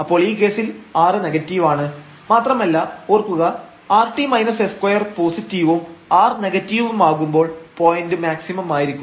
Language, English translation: Malayalam, So, in this case the r is negative and remember when r t minus s square is positive and r is negative then we have a point of maximum